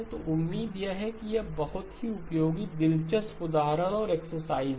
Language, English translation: Hindi, So this is a very useful hopefully interesting example and exercise